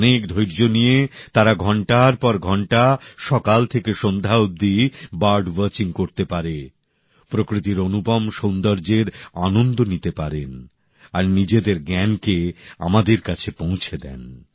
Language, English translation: Bengali, With utmost patience, for hours together from morn to dusk, they can do bird watching, enjoying the scenic beauty of nature; they also keep passing on the knowledge gained to us